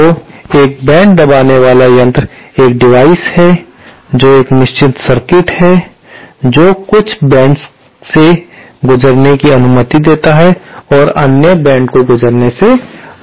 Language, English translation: Hindi, So, a mode suppressor is a device is a circuit which allows certain modes to pass through and does not allow other modes to pass through